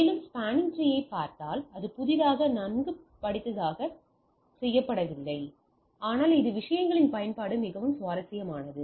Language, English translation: Tamil, Again if you look at the spanning tree protocol is not done that new it is well studied, but it is a application of this things becomes much interesting